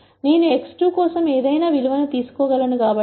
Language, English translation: Telugu, Since I can take any value for x 2